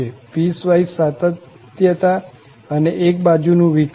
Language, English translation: Gujarati, The piecewise continuity and one sided derivatives